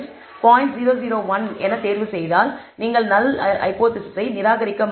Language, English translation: Tamil, 001 you would not reject the null hypothesis